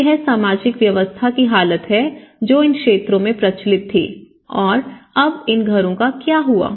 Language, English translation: Hindi, So, this is the condition, social systems which has been prevalent in these areas and now what happened to these houses